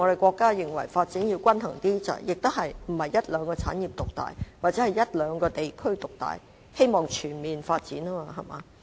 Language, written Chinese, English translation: Cantonese, 國家也認為發展要比較均衡，不是讓一兩個產業獨大或一兩個地區獨大，而是希望全面發展，對嗎？, Our country also considers that development should be relatively balanced instead of allowing one or two industries to dominate right?